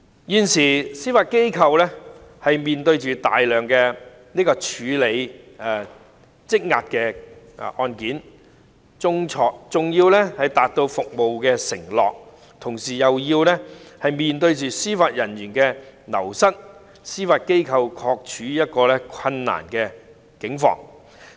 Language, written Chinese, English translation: Cantonese, 現時司法機構面對大量有待處理的積壓案件，既要達到服務承諾，又要面對司法人員人才流失的問題，的確處於一個困難的境況。, At present the Judiciary has a huge backlog of cases having to meet the performance pledge and at the same time plaguing by the problem of wastage of Judicial Officers . The Judiciary is undoubtedly caught in a predicament